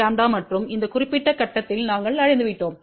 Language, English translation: Tamil, 1126 lambda and we have reached at this particular point